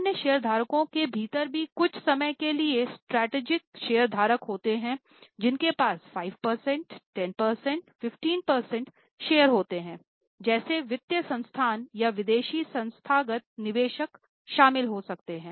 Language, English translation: Hindi, Within other shareholders also sometimes there are strategic shareholders who may have big chunks of shares like 5%, 10% 15%, like financial institutions or like foreign institutional investors